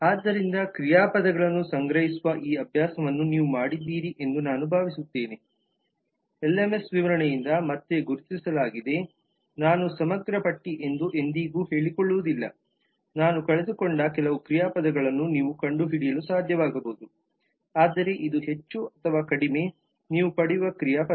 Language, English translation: Kannada, so i hope you have done this exercise of collecting the verbs this is the list of the verbs identified from the lms specification again i would never claim this to be an exhaustive list you may be able to find some more verbs that i have missed out, but this is more or less the kind of verb that you get